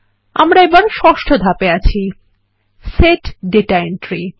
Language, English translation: Bengali, We are on Step 6 that says Set Data Entry